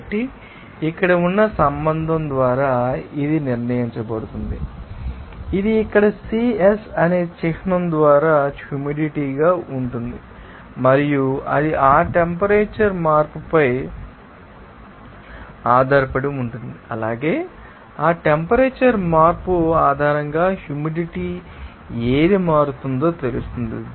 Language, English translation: Telugu, So, it is determined by the relationship like this here this is represented by the symbol here Cs that is humid heat, and it will be based on that you know temperature change as well as you know that what will be the humidity will be changing based on that temperature change